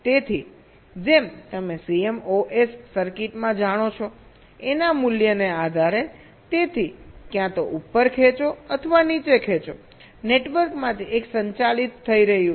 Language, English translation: Gujarati, so, as you know, in a c mos circuit, depending on the value of a, so either the pull up or the pull down, one of the networks is conducting